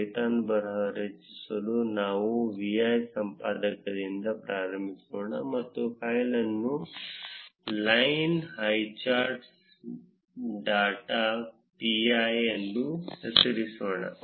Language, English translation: Kannada, To create the python script let us start with the vi editor and let us name the file as line highcharts dot py